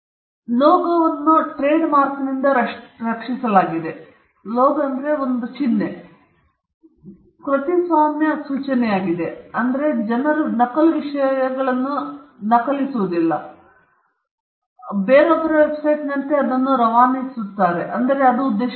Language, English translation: Kannada, Logo is protected by trademark, but the point is the copyright notice is put so that people don’t enmasse copy things, and put it, and pass it off as somebody else’s website; that’s objective of it